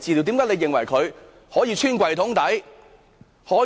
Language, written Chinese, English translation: Cantonese, 為何他們可以"穿櫃桶底"？, Why were they able to engage in such misappropriation?